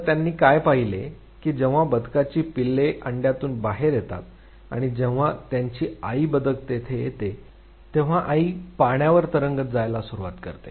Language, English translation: Marathi, What he observed was that when the eggs of the ducks when it hatches and when the duckling come out, the mother duck will start moving towards water body